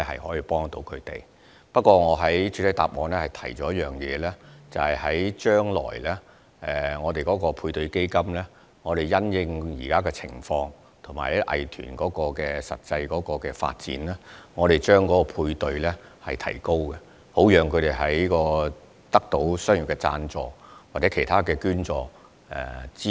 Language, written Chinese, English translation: Cantonese, 不過，正如我在主體答覆中提到，配對資助計劃將來會因應當時的情況和藝團的實際發展，提高配對比例及配對資助上限，好讓藝團得到商業贊助及其他捐助。, Nevertheless as I said in the main reply the matching ratio and respective matching ceiling under the Matching Grants Scheme will be increased in future in the light of the prevailing situation and actual development of arts groups with a view to enabling arts groups to solicit commercial sponsorships and other donations